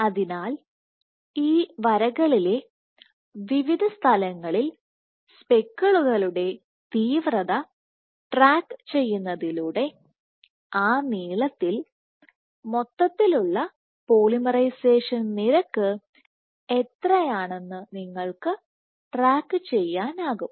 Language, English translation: Malayalam, So, by tracking the intensity of speckles at various points along these lines you can track what is the overall polymerization length polymerization rate along that length